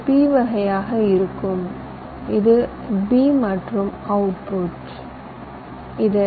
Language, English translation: Tamil, this will be p type, this is also a, this is also b and this is the output